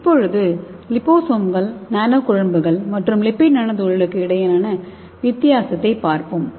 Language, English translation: Tamil, So let us see the difference between the liposome and nanoemulsion and lipid nanoparticle